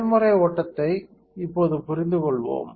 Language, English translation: Tamil, So, let us understand now the process flow